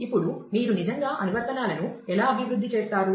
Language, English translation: Telugu, Now, coming to how do you actually develop applications